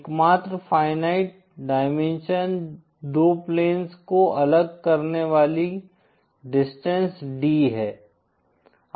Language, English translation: Hindi, The only finite dimension is the distance D, separating the two planes